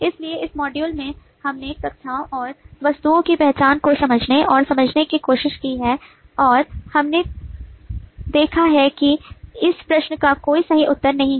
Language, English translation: Hindi, so in this module we have understood and tried to understand the identification of classes and objects and we have observed that there is no right answer to this question